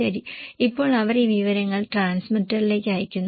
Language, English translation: Malayalam, Okay, now they send this information to the transmitter